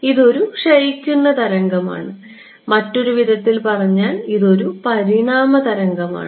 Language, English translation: Malayalam, It is a decaying wave right so this is, in other words, an evanescent wave